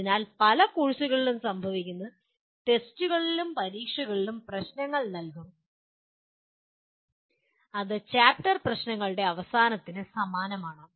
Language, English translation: Malayalam, So what happens as many courses will give problems in tests and examinations which are very similar to end of chapter problems